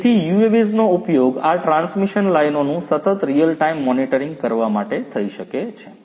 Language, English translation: Gujarati, So, UAVs could be used to do real time continuous monitoring of these transmission lines